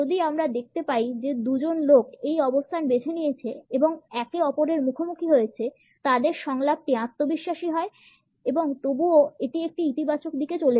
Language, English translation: Bengali, If we find two people opting for the same position and facing each other the dialogue is confident and yet it moves in a positive direction